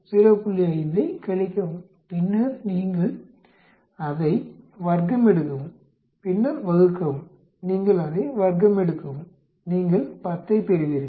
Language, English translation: Tamil, 5 then you square it up then divided, you square it up you get 10